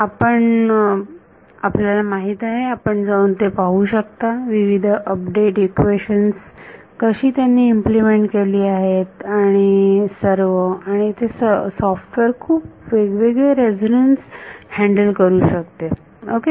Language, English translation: Marathi, So, you know you can go and see how they have implemented various update equations and all and it can handle of quite a variety of different resonances ok